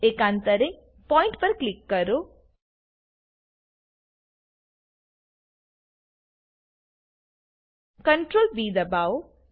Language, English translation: Gujarati, Alternately, click at the point, press Ctrl +B